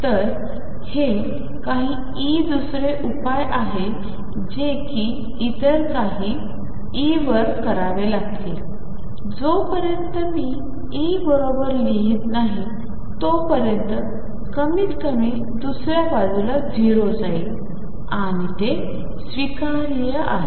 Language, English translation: Marathi, So, this is some e second solution go to do like this some other e unless I have exactly write E that at least goes to 0 on the other side and that is acceptable